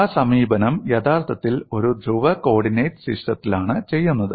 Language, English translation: Malayalam, That approach is actually done in a polar coordinate system